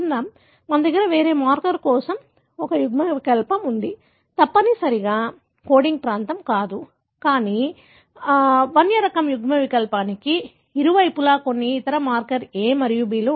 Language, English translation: Telugu, So, we have an allele for a different marker, not necessarily a coding region, but some other marker A and B on either side of thewild type allele carries T